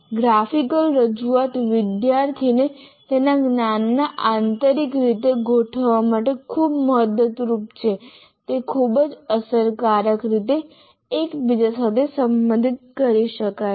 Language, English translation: Gujarati, A graphical representation is greatly helpful for the student to organize his knowledge internally